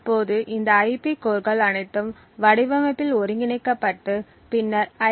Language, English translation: Tamil, Now, all of these IP cores would be integrated into the design and then used to manufacture the IC